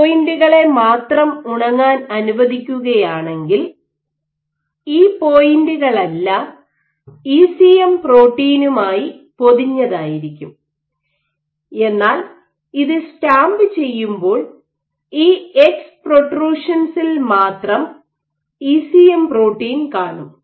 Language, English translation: Malayalam, So, as a consequence if you let it air dry only these points all these points will be coated with your ECM protein, but when you stamp it then what you will be left with is the ECM protein only at these ex protrusions will get transferred